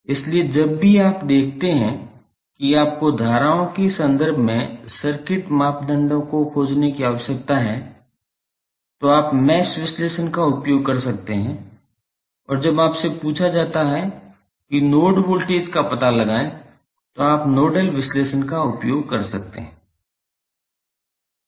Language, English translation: Hindi, So, whenever you see that you need to find out the circuit parameters in terms of currents you can use mesh analysis and when you are asked find out the node voltages you can use nodal analysis